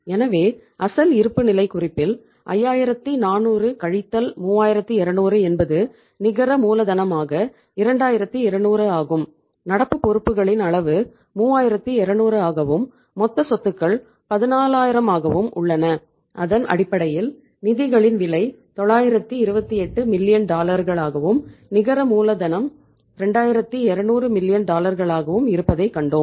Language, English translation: Tamil, So 5400 minus 3200 is the 2200 as the net working capital from the original balance sheet and there the magnitude of the current liabilities was 3200 and the total assets are 14000 and we have on the basis of that we have seen the cost of the funds is 928 million dollars and the NWC is 2200 million dollars